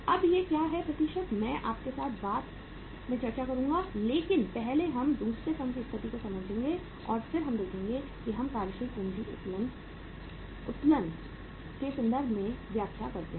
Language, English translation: Hindi, Now what is this percentage, I will discuss with you later on but first we will understand the situation in the other firm and then we will see that we interpret in terms of the working capital leverage